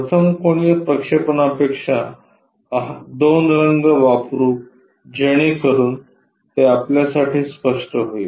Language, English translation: Marathi, In 1st angle projection,let us use two colors, so that it will be clear for us